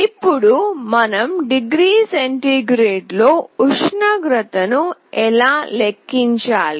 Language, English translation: Telugu, Now how do we compute the temperature in degree centigrade